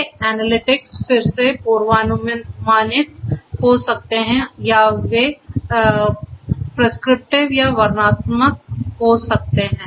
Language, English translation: Hindi, These analytics could be again predictive or they could be prescriptive or descriptive